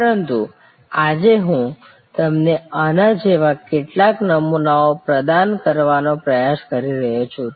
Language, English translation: Gujarati, But, today what I am trying to highlight to you is to provide you with some templates like this one